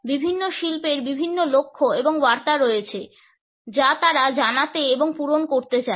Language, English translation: Bengali, Different industries have different goals and messages which they want to convey and fulfill